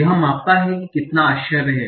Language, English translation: Hindi, It measures how much is the surprise